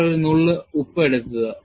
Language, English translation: Malayalam, You have to take it with a pinch of salt